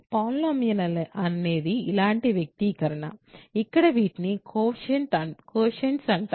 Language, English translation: Telugu, So, polynomial is just a expression like this, where these are called coefficients